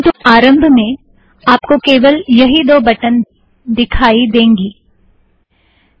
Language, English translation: Hindi, In the beginning however, you will see only these two buttons